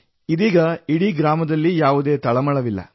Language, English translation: Kannada, Now there is no tension in the whole village